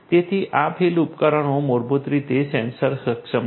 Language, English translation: Gujarati, So, this field devices are basically sensor enabled so, sensor enabled